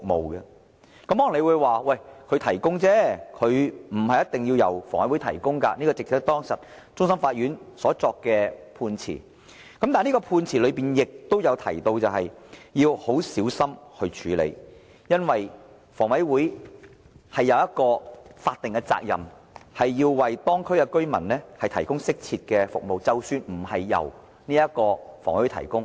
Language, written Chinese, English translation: Cantonese, 大家可能會說，這些設施不一定要由房委會提供，這亦是當時終審法院所作的判詞。但是，判詞亦提到要很小心處理此事，因為房委會有法定責任，須為當區居民提供適切的服務，即使這些服務並非直接由房委會提供。, Members may say that such facilities may not necessarily have to be provided by HA which was stated in the judgment handed down by the Court of Final Appeal at that time but it was also mentioned in the judgment that this matter should be handled carefully because HA has the statutory duty to secure the provision of appropriate services for local residents even though such services may not be directly provided by HA